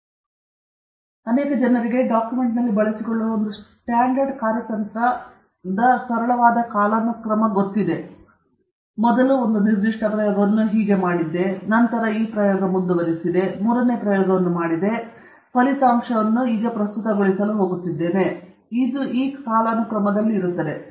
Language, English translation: Kannada, So, for example, one standard strategy that many people employ for a document is simply chronological, which simply means that I did first one particular experiment, then I did another experiment, then I did the third experiment, that is how you present your result – that’s chronological